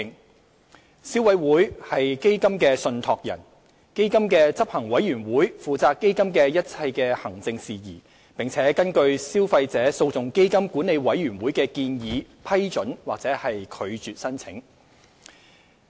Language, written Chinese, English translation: Cantonese, 消費者委員會為基金的信託人，基金的執行委員會負責基金的一切行政事宜，並根據消費者訴訟基金管理委員會的建議批准或拒絕申請。, The Board of Administrators of the Fund the Board is responsible for the overall administration of the Fund and it approves or rejects an application based on the recommendation of the Management Committee of the Fund